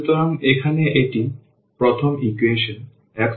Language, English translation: Bengali, So, here this is the first equation x plus y is equal to 4